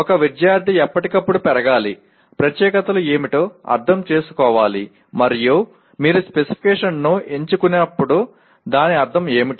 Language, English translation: Telugu, A student should grow all the time with the, with understanding what specifications are and when you chose a specification what does it mean